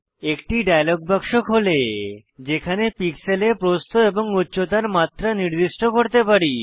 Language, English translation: Bengali, A dialog box opens, where we can specify the width and height dimensions, in pixels